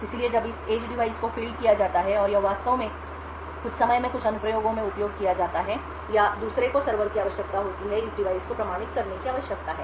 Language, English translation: Hindi, So when this edge device is fielded and it is actually used in in some applications at some time or the other the server would require that this device needs to be authenticated